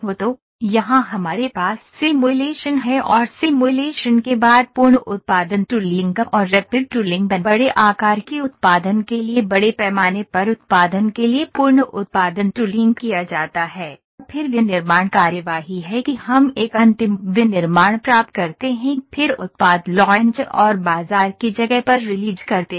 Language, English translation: Hindi, So, here we have simulation and after simulation full production tooling and rapid tooling is done Full production tooling for mass production for big size production, then manufacturing proceedings that we get a final manufacturing then product launch and release in to the market place